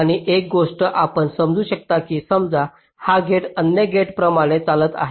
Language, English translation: Marathi, and just another thing: you just see that suppose this gate is driving similar to other gates